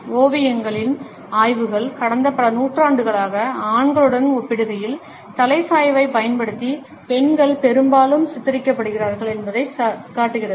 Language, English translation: Tamil, A studies of paintings, over the last several centuries show that women are often depicted more using the head tilt in comparing to men